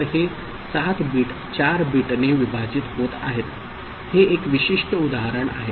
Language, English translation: Marathi, So, this is 7 bit getting divided by 4 bit this is a specific example